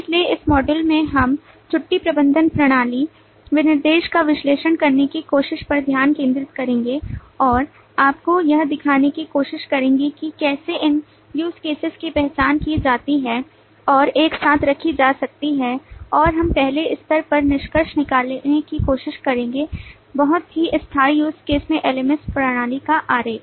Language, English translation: Hindi, So in this module we will focus on trying to analyze the leave management system specification further and try to show you how these use cases can be identified and put in together, and we will try to conclude with a first level, very tentative use case diagram of the LMS system